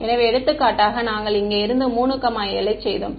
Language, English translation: Tamil, So, for example, here we have been made 3 comma 7